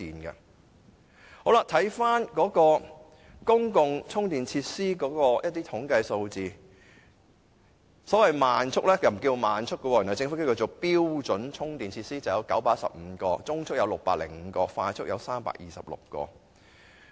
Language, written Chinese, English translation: Cantonese, 至於公共充電設施的統計數字，原來按政府使用的名稱，慢速充電器的名稱是標準充電器，數目有915個，中速有605個，快速有326個。, According to the statistical figures relating to public charging facilities the name used by the Government to identify slow chargers is standard chargers and there are now 915 standard chargers 605 medium chargers and 326 quick chargers